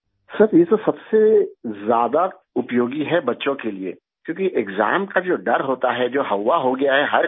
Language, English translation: Hindi, Sir, this is most useful for children, because, the fear of exams which has become a fobia in every home